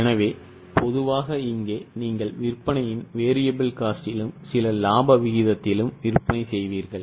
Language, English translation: Tamil, So, typically here you will sell at the variable cost of sales plus some profit margin